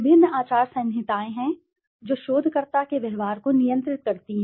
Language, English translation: Hindi, There are various ethical codes of conduct that regulate the researcher s behavior